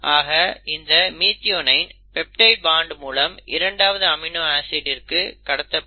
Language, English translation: Tamil, So this methionine will be passed on to the second amino acid through the formation of peptide bond